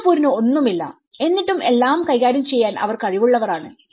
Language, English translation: Malayalam, A Singapore which doesn’t have anything which is still capable of dealing with it